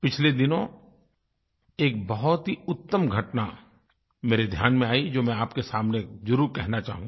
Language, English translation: Hindi, Recently I came across a wonderful incident, which I would like to share with you